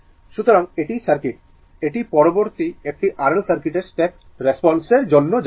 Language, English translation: Bengali, So, this is the circuit, this next we will go for step response of an R L circuit